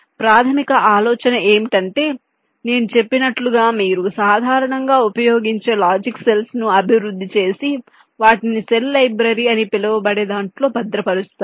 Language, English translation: Telugu, so, basic idea: as i have mentioned, you develop the commonly used logic cells and stored them in a so called cell library